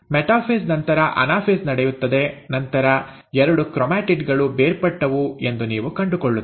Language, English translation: Kannada, After the metaphase, you have the anaphase taking place, then you find that the two chromatids have separated